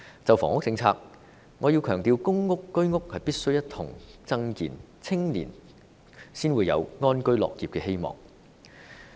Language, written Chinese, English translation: Cantonese, 就房屋政策來說，我要強調，公屋和居屋必須一同增建，青年才有安居樂業的希望。, Insofar as the housing policy is concerned I have to emphasize that PRH units and HOS units must be developed in parallel before there is hope for the young people to live in peace and work with contentment